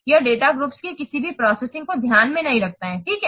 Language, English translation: Hindi, It doesn't take into account any processing of the data groups